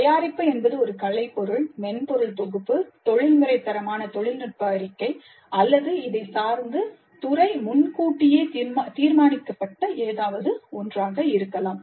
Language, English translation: Tamil, The product can be an artifact, a software package, a professional quality technical report, or anything else as decided upfront by the department